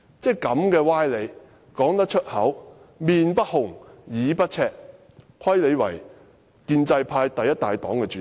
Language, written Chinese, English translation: Cantonese, "這種歪理也能說出口，而且面不紅，耳不赤，真虧她是建制派第一大黨的主席。, How can she say such sophistry with a straight face and without a sense of embarrassment? . Perhaps that is why she is the chairperson of the largest party in the pro - establishment camp